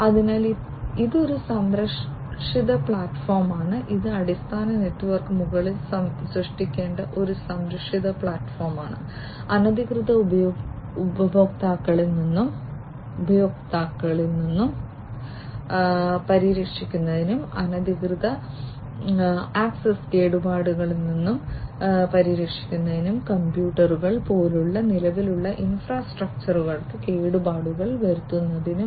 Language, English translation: Malayalam, So, it is a protective platform, it is a protective platform that will have to be created on top of the basic network, for protecting from unauthorized users, protecting from damage unauthorized access, and damage to the existing infrastructure like computers etcetera and so on